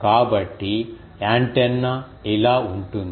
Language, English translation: Telugu, So, antenna is like this